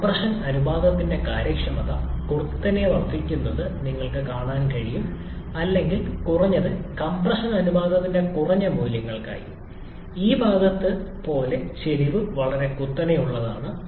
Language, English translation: Malayalam, You can see with increasing compression ratio efficiency keeps on increasing sharply or at least for lower values of compression ratio, the slope is very steep like in this portion